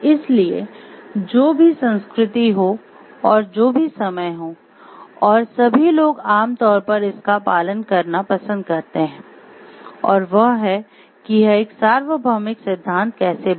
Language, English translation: Hindi, So, whichever be the culture and how whichever be the time and all people generally like follow this and that is how this has become universal principles